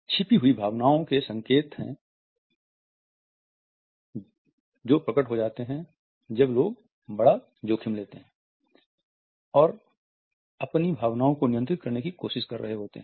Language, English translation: Hindi, They are signs of the concealed emotions that leak out when people are in high stakes situations, but are trying to control their feelings